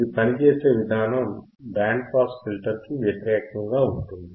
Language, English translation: Telugu, It is kind of opposite to band pass filter right